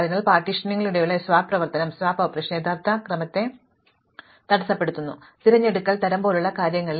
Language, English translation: Malayalam, So, this swap operation during partitioning disturbs original order and this also happens in things like selection sort